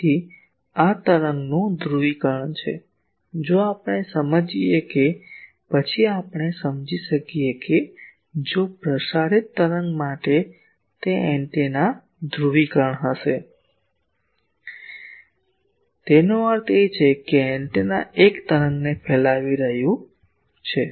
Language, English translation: Gujarati, So, this is the polarisation of the wave; if we understand that then we can understand that if for a transmitting wave it will be the antennas polarisation; that means, the antenna is radiating a wave